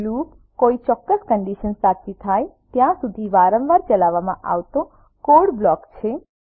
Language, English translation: Gujarati, Loop is a block of code executed repeatedly till a certain condition is satisfied